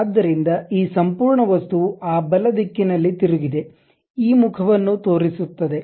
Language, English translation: Kannada, So, this entire object rotated in that rightward direction that is the face what it is shown